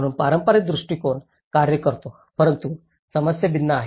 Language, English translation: Marathi, So this is how the traditional approach works but the problems are different